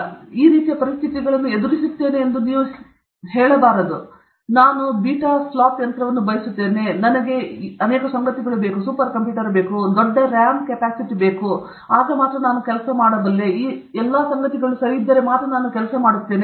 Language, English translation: Kannada, You should not say I will put these kind of conditions; I want a beta flop machine; I want so many these things; I want such a big RAM; only with all these things I will work okay